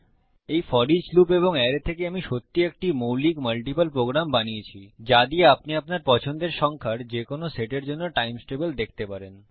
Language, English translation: Bengali, So from this FOREACH loop and array Ive created a really basic, multiple program with which you can see the times table for any set of numbers you like So thats the FOREACH loop